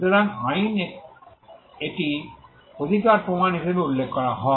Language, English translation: Bengali, So, this in law be referred to as the proof of right